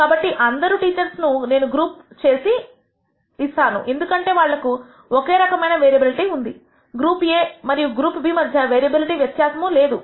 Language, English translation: Telugu, Notice that all the teachers I can group them because they have the same variability, there is no di erence in the variability of group A and group B